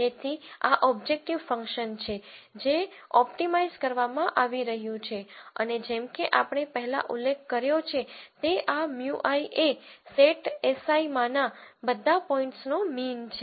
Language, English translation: Gujarati, So, this is the objective function that is being optimized and as we have been mentioned mentioning before this mu i is a mean of all the points in set s i